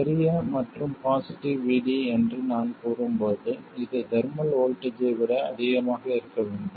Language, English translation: Tamil, And when is it large when VD is large and positive when I say large and positive VD must be much more than the thermal voltage